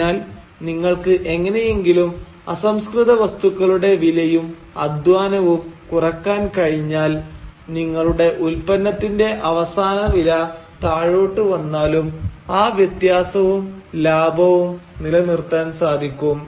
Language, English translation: Malayalam, So if you can find some way to reduce the price of the raw material and the labour input, then even if your final price is coming down the difference is maintained and profit is maintained